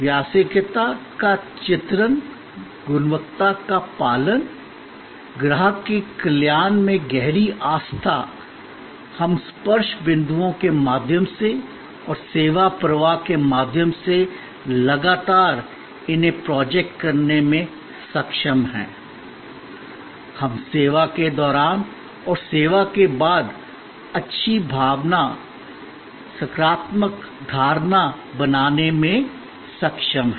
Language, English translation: Hindi, By depicting professionalism, adherence to quality, the deep belief in customer's welfare, the more we are able to project these continuously through the touch points and through the service flow, we are able to create that lingering good feeling, that positive perception during the service and after the service